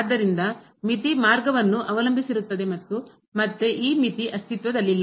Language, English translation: Kannada, Therefore, the limit depends on the path and again, this limit does not exist